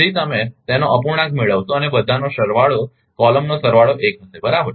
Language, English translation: Gujarati, So, you will get the fraction of it and all summation column summation will be 1 right